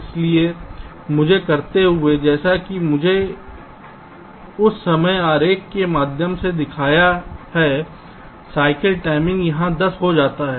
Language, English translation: Hindi, so by doing this, as i have shown through that ah timing diagram, the cycle time becomes ten here